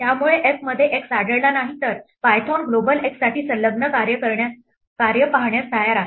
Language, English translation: Marathi, So if x is not found in f, Python is willing to look at the enclosing function for a global x